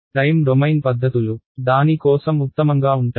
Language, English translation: Telugu, So, time domain methods would be better for that